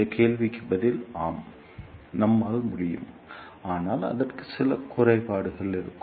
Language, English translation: Tamil, The answer to this question is yes, we can, but it will have some disadvantages